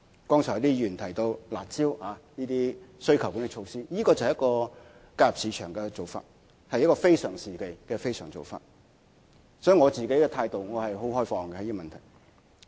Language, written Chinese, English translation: Cantonese, 剛才有議員提到"辣招"的需求管理措施，這是介入市場的做法，是一個非常時期的非常做法，因此我對這個問題持開放態度。, Some Member has mentioned about the curb measures which are demand - side management measures to intervene in the market . This is also an extraordinary measure for extraordinary times . Hence I keep an open mind about this issue